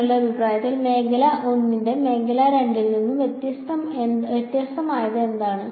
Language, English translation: Malayalam, What differentiates region 1 from region 2 in your opinion